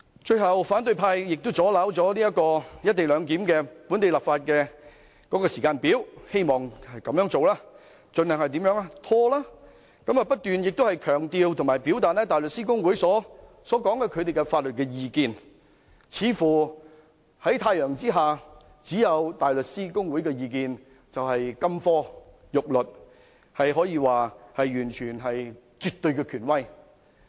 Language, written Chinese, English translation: Cantonese, 最後，反對派亦阻撓了"一地兩檢"的本地立法時間表，希望藉此盡量拖延，不斷強調和表達香港大律師公會所提出的法律意見，似乎在太陽之下只有其意見才是金科玉律，可說是絕對權威。, Lastly the opposition camp has also disrupted the timetable for the local legislative exercise for the co - location arrangement seeking to delay it as much as possible . They keep emphasizing and stating the legal opinion given by HKBA sounding like it is the only golden rule under the sun the absolute authority